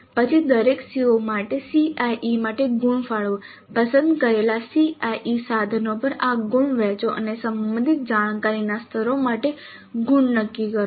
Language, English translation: Gujarati, Then for each CO, allocate marks for CIE, distribute these marks over the selected CIE instruments and determine the marks for relevant cognitive levels